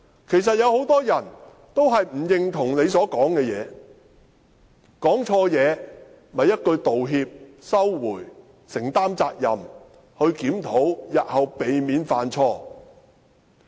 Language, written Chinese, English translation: Cantonese, 其實很多人也不認同他所說的話，他說錯話，只需一句道歉，收回有關言論，承擔責任，作出檢討，日後避免犯錯。, In fact many people do not agree with what he has said . He has made bad remarks . All he has to do is apologize take back his words admit the responsibility and take a reflection to avoid repeating the same mistake in future